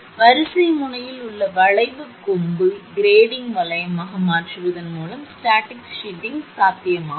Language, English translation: Tamil, So, static shielding can be possible by changing the arcing horn at the line end to a grading ring